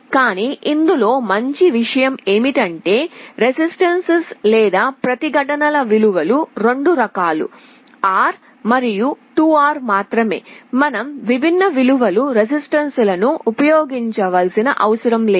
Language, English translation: Telugu, But the good thing is that the values of the resistances are only of 2 types, R and 2 R, you do not need to use many different values of the resistances